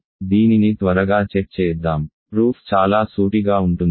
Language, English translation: Telugu, So, let us check this quickly, the proof is fairly straightforward